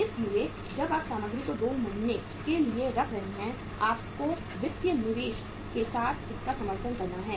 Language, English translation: Hindi, So when you are keeping the material for 2 months you have to support it with the financial investment